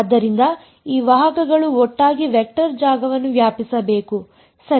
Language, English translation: Kannada, So, these vectors put together should span the vector space ok